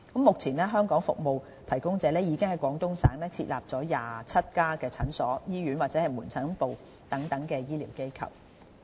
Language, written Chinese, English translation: Cantonese, 目前，香港服務提供者已經在廣東省設立了27家診所、醫院或門診部等醫療機構。, Hong Kong service suppliers have now set up 27 such medical institutions as clinics hospitals and outpatient clinics in Guangdong Province